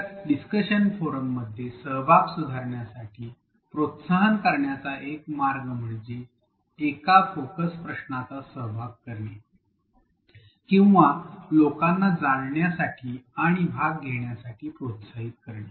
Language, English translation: Marathi, So, one way to encourage, to improve the participation in discussion forums is to include a focus question or to incentivize people to go and participate